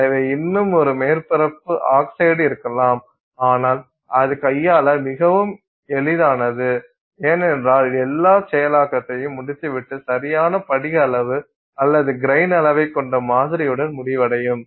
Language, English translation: Tamil, So, you may still have a surface oxide which which will form but that is much easier to handle because let's say you finish all the processing and you end up with the sample that has the correct crystal size or the grain size